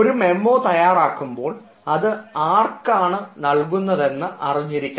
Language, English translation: Malayalam, when you are serving a memo or when you are writing a memo, you know for whom you are writing